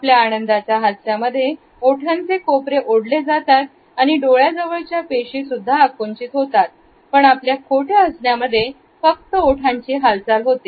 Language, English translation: Marathi, An enjoyment smile, not only lip corners pulled up, but the muscles around the eyes are contracted, while non enjoyment smiles no just smiling lips